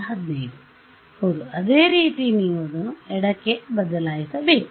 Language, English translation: Kannada, Yeah you similarly you have to change it for the left